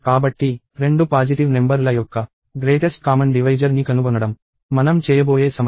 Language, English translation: Telugu, So, the problem that I am going to pose is finding the greatest common divisor of two positive numbers